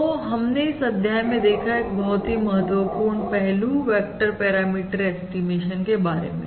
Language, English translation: Hindi, that is a very important aspect of vector parameter estimation